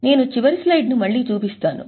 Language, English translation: Telugu, I'll just show the last slide again